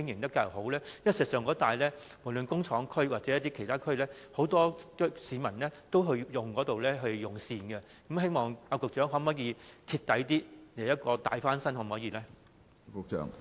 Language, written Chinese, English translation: Cantonese, 事實上，工廠區或其他地區的市民都會到該數個熟食市場用膳，局長會否在該等市場進行徹底大翻新工程？, In fact people in the factory area or other areas will go to the cooked food markets for meals will the Secretary carry out thorough refurbishment works in these markets?